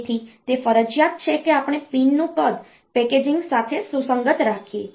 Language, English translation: Gujarati, So, it is mandatory, that we keep the pin size compatible with the packaging